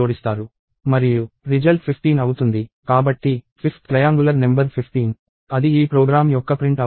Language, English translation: Telugu, So, the fifth triangular number is 15; that would be the print out of this program